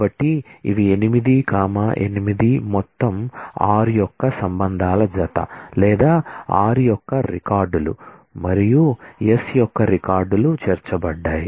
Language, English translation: Telugu, So, these are 8, 8 total all possible pairing of relations of r or records of r and records of s are included